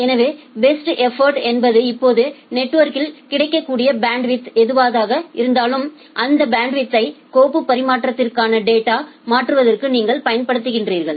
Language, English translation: Tamil, So, best effort means whatever is the available bandwidth now in the network you utilize that bandwidth for transferring the data for say file transfer